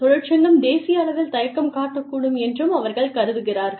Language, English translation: Tamil, They also feel that, the union may be reluctant, at the national level